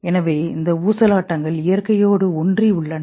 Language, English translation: Tamil, So, and these oscillations are entrained with nature